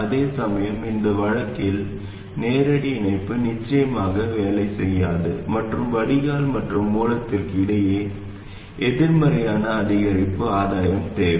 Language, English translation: Tamil, Whereas in this case a direct connection will certainly not work and you do need a negative incremental gain between the drain and the source